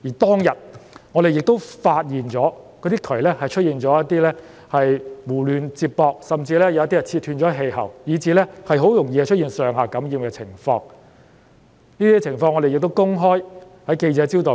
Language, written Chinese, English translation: Cantonese, 當天，我們發現有喉管被胡亂接駁，甚至有部分氣喉被切斷，以至很容易導致上、下樓層同一單位的居民感染病毒。, That day we found that some pipes had been randomly connected and some of the vent pipes had even been cut off . These could easily cause residents living in flats directly above and below each other to get infected with the virus